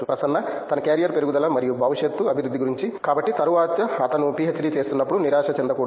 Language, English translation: Telugu, About his carrier growth and future development everything, so later onwards he should not frustrate that while doing PhD